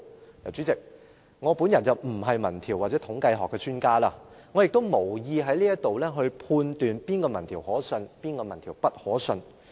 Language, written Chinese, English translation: Cantonese, 代理主席，我本人並非民調或統計學的專家，我亦無意在這裏判斷哪個民調可信，哪個民調不可信。, Deputy President I am not an expert in opinion polls or statistics and I have no intention to judge which opinion poll can be trusted or which cannot be trusted